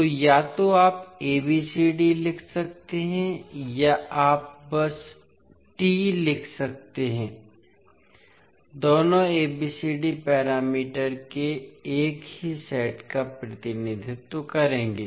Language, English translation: Hindi, So, either you can write ABCD or you can simply write T, both will represent the same set of ABCD parameters